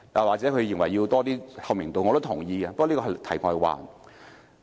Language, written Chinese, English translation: Cantonese, 或許區議員認為要有更高透明度，我是同意的，不過這是題外話。, Perhaps Mr AU looks for higher transparency . I concur with him but this is outside the scope of the topic